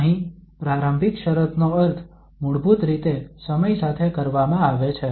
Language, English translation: Gujarati, Here the initial condition means with respect to basically time